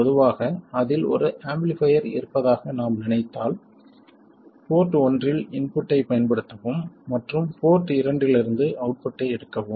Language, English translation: Tamil, Normally if we think of it as an amplifier apply an input to port 1 and take the output from port 2